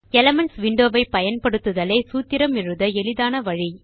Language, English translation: Tamil, Using the Elements window is a very easy method of writing a formula